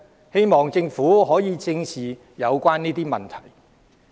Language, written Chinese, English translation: Cantonese, 希望政府可以正視此問題。, I hope that the Government can face the issue squarely